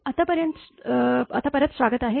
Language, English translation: Marathi, Welcome back now